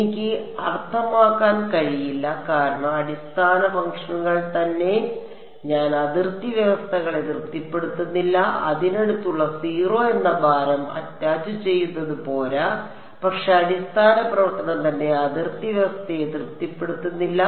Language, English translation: Malayalam, I cannot I mean because the basis functions themselves I am not satisfying the boundary conditions its not enough that I just attach a weight next do to which is 0, but the basis function itself is not satisfying the boundary condition